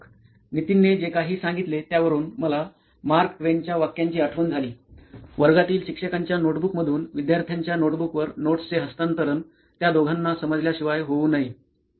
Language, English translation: Marathi, What Nithin said reminded me of Mark Twain’s quote, “that a classroom should not be a transfer of notes from the teacher’s notebook to the student’s notebook without going through the minds of either”